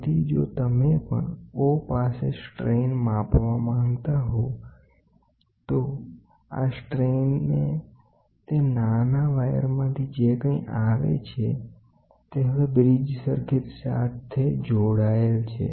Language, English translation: Gujarati, So, if you want to measure strain at O, so, this strain whatever comes out of that small wire, it is now attached to a the bridge circuit